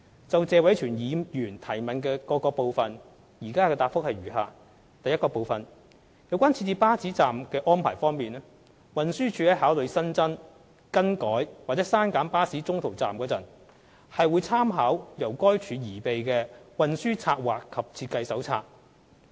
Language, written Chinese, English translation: Cantonese, 就謝偉銓議員質詢的各個部分，現答覆如下：一有關設置巴士站的安排方面，運輸署在考慮新增、更改或刪減巴士中途站時，會參考由該署擬備的《運輸策劃及設計手冊》。, My reply to the various parts of Mr Tony TSEs question is as follows 1 Regarding the location of bus stops the Transport Department TD will make reference to its Transport Planning and Design Manual when considering adding changing or cancelling any en - route bus stops